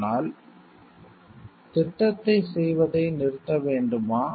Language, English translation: Tamil, But then should we stop it stop doing the project